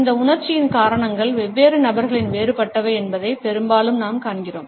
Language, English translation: Tamil, Often we find that the reasons of this emotion are different in different people